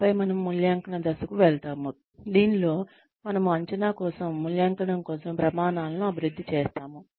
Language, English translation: Telugu, And then, we move on to the evaluation phase, in which, we develop criteria for assessment, for evaluation